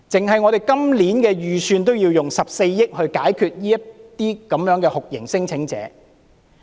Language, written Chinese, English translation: Cantonese, 單是今年的預算，已經需要14億元來處理這些酷刑聲請者。, And for this year alone it has been estimated that 1.4 billion is needed for handling cases involving torture claimants